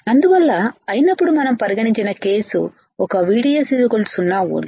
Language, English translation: Telugu, So, case one we have considered when VDS equals to 0 volt